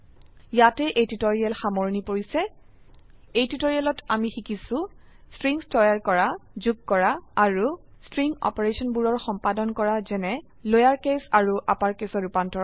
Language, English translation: Assamese, In this tutorial, you will learn how to create strings, add strings and perform basic string operations like converting to lower case and upper case